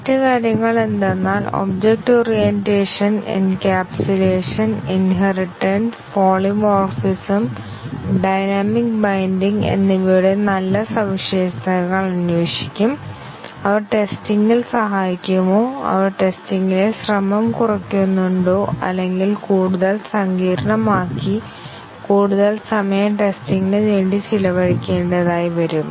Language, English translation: Malayalam, The other things is that the good features of object orientation, encapsulation, inheritance, polymorphism, dynamic binding will investigate, do they help in testing, do they reduce the effort in testing or do they make it more complicated and need to spend more effort in testing